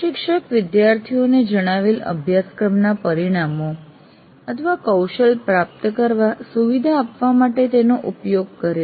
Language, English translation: Gujarati, It is what the instructor uses for facilitating the students to achieve the stated course outcomes